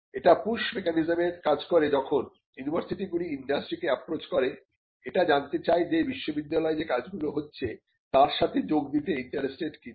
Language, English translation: Bengali, It also acts by way of the push mechanism, where the university approaches various industry players to see that whether they will be interested in the work that is happening